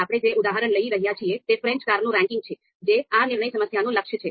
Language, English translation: Gujarati, So the example that we are taking is you know ranking of French cars, so that is the goal for this decision problem